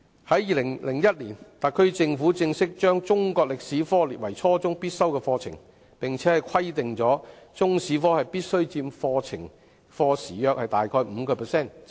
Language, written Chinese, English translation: Cantonese, 在2001年，特區政府正式把中國歷史科列為初中必修課程，並且規定中史科必須佔課時約 5%， 以加強中史教育。, In 2001 the HKSAR Government officially made Chinese History a compulsory subject at junior secondary level and required that the subject must take about 5 % of the teaching hours so as to strengthen Chinese history education